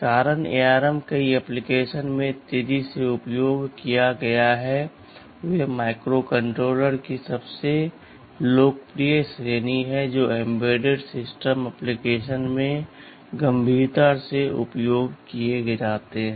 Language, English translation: Hindi, The reason is this ARM have has been this has been you can say increasingly used in many applications, they are the most popular category of microcontrollers which that has are seriously used in embedded system applications